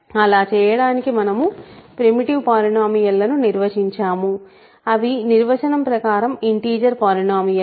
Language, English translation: Telugu, In order to do that we have defined primitive polynomials which are automatic which are by definition integer polynomials